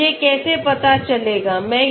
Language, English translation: Hindi, So how do I find out